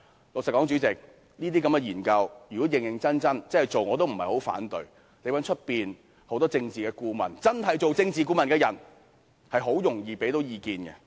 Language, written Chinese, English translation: Cantonese, 老實說，主席，這些研究如果認認真真地做，我亦不太反對，因為外間確實有許多真正的政治顧問能提供意見。, Frankly Chairman I will not have too much objection if these studies are conducted seriously since there are indeed many genuine political advisers outside who can offer advice